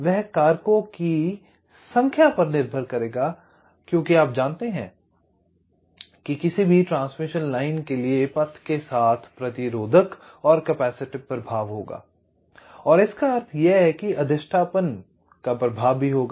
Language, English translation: Hindi, they will depend on number of factors because, you know, for any transmission line there will be resistive and the capacitive affect along the path, and means also inductive effects